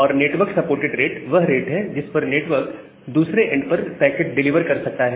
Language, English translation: Hindi, And the rate at which the network can deliver the packet to the other end